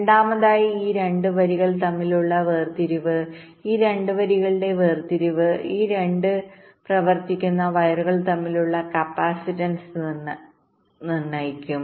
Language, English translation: Malayalam, the separation of these two lines will determine the capacitance between these two run running wires